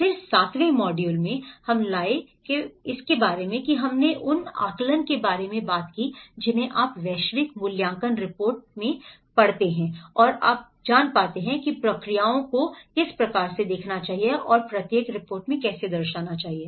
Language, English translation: Hindi, Then in the seventh module we brought about, we talked about the assessments you know the global assessment reports and you know what are the procedures one has to look at it, each report have